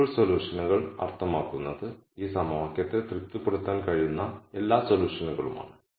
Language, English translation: Malayalam, Feasible solutions meaning those are all solutions which can satisfy this equation